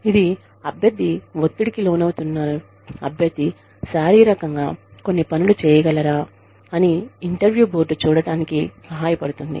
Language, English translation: Telugu, It helps the interview board see, whether the candidate is capable of performing, under stress